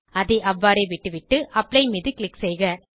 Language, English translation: Tamil, Lets leave as it is and click on Apply